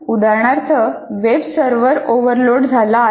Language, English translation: Marathi, For example, web server is overloaded